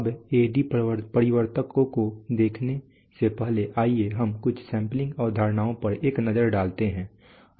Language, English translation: Hindi, Now before we look at the A/D converter let us take a look at some sampling concepts